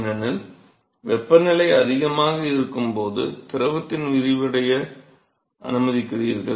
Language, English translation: Tamil, Because when the temperature is higher you allow the fluid to expand